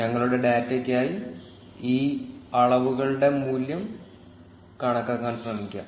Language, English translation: Malayalam, For our data, let us try calculating the value of these measures